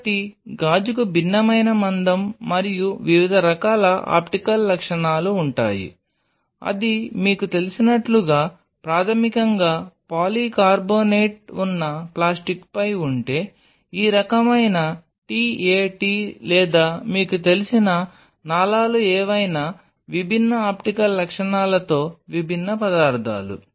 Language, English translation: Telugu, So, glass has a different kind of thickness and different kind of optical properties where is if it is on a plastic which is basically polycarbonate like you know, this kind of t a t or whatever like you know vessels they are different material with the different optical properties